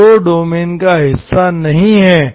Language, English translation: Hindi, 0 is not part of the domain, okay